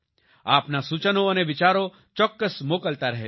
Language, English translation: Gujarati, Do keep sending your suggestions and ideas